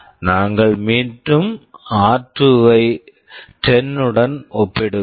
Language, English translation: Tamil, We are again comparing r2 with 10